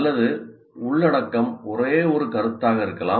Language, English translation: Tamil, Or the content could be just merely one single concept as well